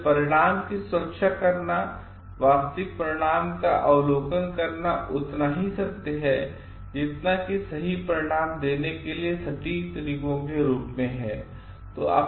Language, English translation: Hindi, So, safeguarding the result and producing actual result is as much a matter of being truthful it as it is in case of about accurate methods for producing right result